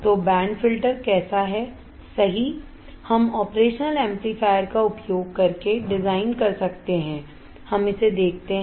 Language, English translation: Hindi, So, how exactly a band filter is, we can design using operation amplifier let us see it